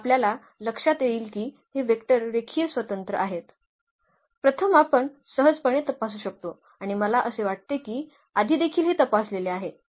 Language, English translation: Marathi, So now, we will notice here that these vectors are linearly independent; first that we can easily check out and we have I think checked before as well